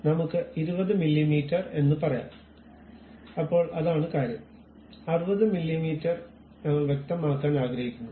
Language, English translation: Malayalam, So, maybe let us say 20 mm, then that is the thing; maybe 60 mm we would like to specify